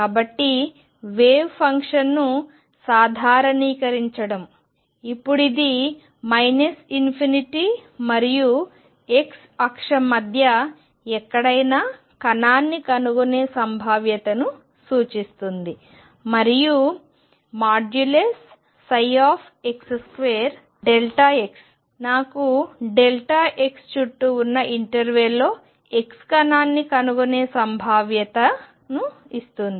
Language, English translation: Telugu, So, normalize wave function, now has an interpretation that this represents the probability of finding particle anywhere between minus infinity and infinity on the x axis and psi square x delta x gives me the probability of finding a particle in the interval delta x around x